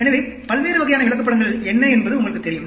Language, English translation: Tamil, So, what are the different types of charts, you know